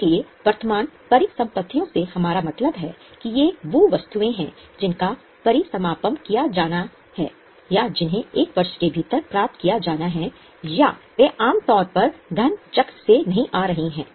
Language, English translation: Hindi, So, what we mean by current assets is these are those items which are to be liquidated or which are to be received within one year's time and they are normally coming from the money cycle